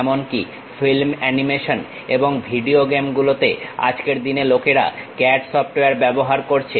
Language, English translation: Bengali, Even for film animations and video games, these days people are using CAD software